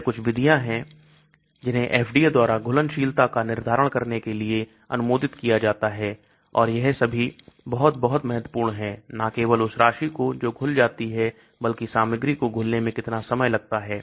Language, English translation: Hindi, These are some methods, which are approved by FDA for determining solubility and all these are very, very important not only the amount that is dissolved but also how long it takes for the material to dissolve